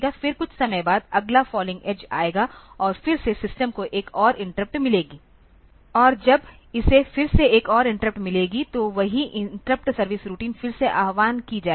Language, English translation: Hindi, Then after sometimes again the next falling edge will come and again the system will get another interrupt and when it gets another interrupt again the same the interrupt service routine will be invoked